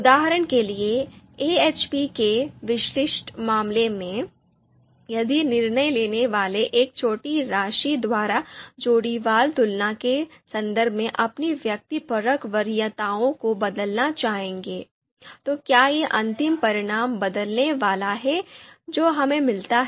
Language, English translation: Hindi, So for example, in the specific case of AHP if the decision makers you know would like to change you know their subjective preferences in terms of pairwise comparisons to you know by a small amount, whether that is going to change the ultimate you know ranking ultimate results that we get